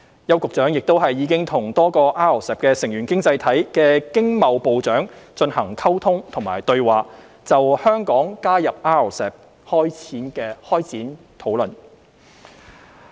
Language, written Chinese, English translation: Cantonese, 邱局長亦已與多個 RCEP 成員經濟體的經貿部長進行溝通和對話，就香港加入 RCEP 開展討論。, Secretary YAU has also liaised with trade ministers of a number of RCEP participating economies to commence discussions on Hong Kongs accession